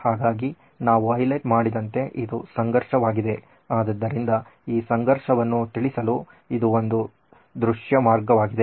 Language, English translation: Kannada, So, this is the conflict as we have highlighted, so this is a visual way to convey this conflict